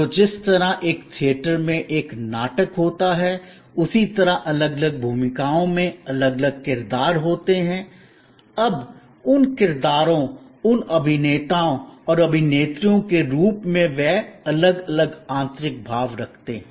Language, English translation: Hindi, So, just as in a play in a theater, there are different characters in different roles, now those characters, those actors and actresses as they perform may have different inner feelings